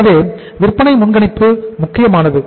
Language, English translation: Tamil, So sales forecasting is important